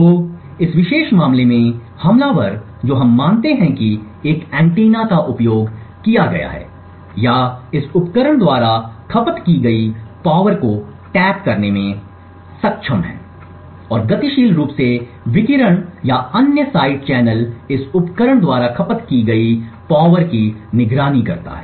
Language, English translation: Hindi, So in this particular case the attacker we assume has used an antenna or has been able to tap into the power consumed by this device and monitor dynamically the radiation or other side channels such as the power consumed by this device